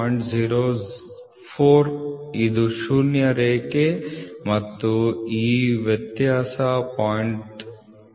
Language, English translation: Kannada, 04 this is the zero line and this difference is going to be 0